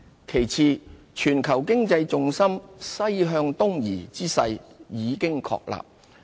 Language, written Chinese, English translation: Cantonese, 其次，全球經濟重心"西向東移"之勢已經確立。, Second the shift in global economic gravity from West to East is now established